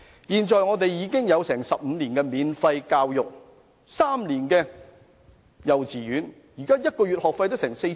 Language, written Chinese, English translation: Cantonese, 現在香港已有15年免費教育 ，3 年幼稚園學費津貼。, Hong Kong already provides 15 years of free education and provides subsidy to cover the tuition fees of three years of kindergarten